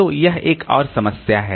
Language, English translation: Hindi, So, this is another problem